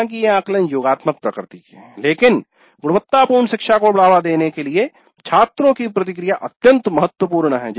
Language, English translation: Hindi, Though these assessments are summative in nature, the feedback to the students is extremely important to promote quality learning